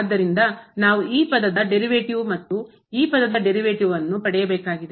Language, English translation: Kannada, So, we have to get the derivative of this term and the derivative of this term